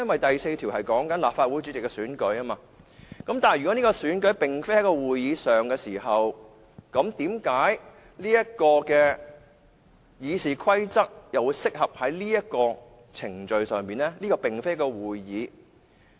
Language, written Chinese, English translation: Cantonese, 第4條是關於立法會主席的選舉，但如果這個選舉並非在立法會會議上進行，為何《議事規則》又適用於這個程序呢？, RoP 4 concerns the election of the President of the Legislative Council . If the election is not conducted at a meeting of the Legislative Council why is RoP still applicable to this procedure?